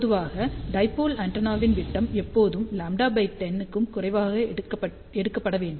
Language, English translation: Tamil, And generally speaking diameter of the dipole antenna should always be taken less than lambda by 10 ok